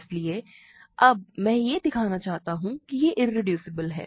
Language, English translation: Hindi, So, now, I want to show that it is irreducible